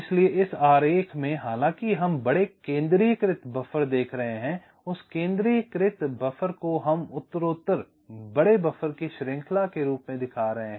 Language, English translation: Hindi, so although we are seeing big centralized buffer, that centralized buffer we are showing as a chain of progressively larger buffer